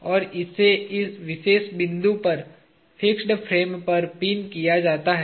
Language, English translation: Hindi, And, it is pinned at this particular point to the fixed frame